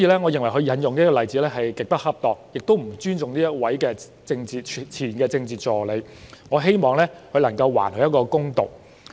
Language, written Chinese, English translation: Cantonese, 我認為他引用的例子極不恰當，亦不尊重這位前任政治助理，我希望他能夠還對方一個公道。, I opine that not only is the example cited by him extremely inappropriate he has not shown any respect for this former Political Assistant . I hope that he can do justice to her